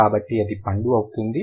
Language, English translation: Telugu, So, that would be fruit